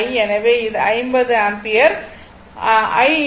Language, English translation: Tamil, So, it is 50 ampere I infinity